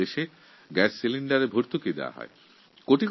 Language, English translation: Bengali, In our country, we give subsidy for the gas cylinders